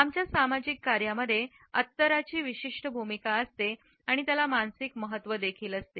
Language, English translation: Marathi, In our social functioning, scent has a certain role and it also has a psychological significance